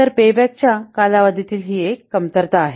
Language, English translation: Marathi, So this is one of the drawback of the payback period